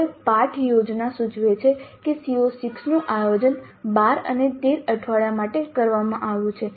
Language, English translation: Gujarati, Now lesson plan indicates that CO6 is planned for weeks 12 and 13